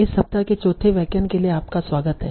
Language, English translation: Hindi, Welcome back for the fourth lecture of this week